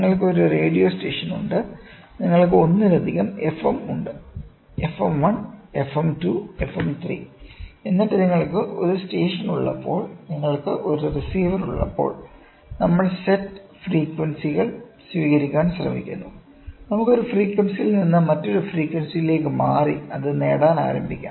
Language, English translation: Malayalam, You have a radio station, radio station you have multiple FM’s, right, FM 1, FM 2, FM 3, right and then when you have a this is a station and when you have a receiver, we try to receive set frequencies and we can jump from one frequency to the another frequency and start getting